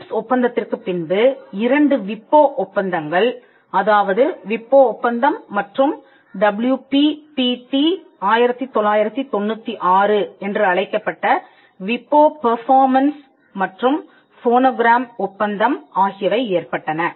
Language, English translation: Tamil, Now after this TRIPS agreement we had two WIPO treaties, the WIPO copyright treaty and the WIPO performances and phonogram treaty called the WPPT1996